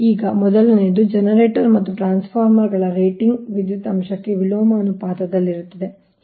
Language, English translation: Kannada, now, number one: the rating of generators and transformers are inversely proportional to the power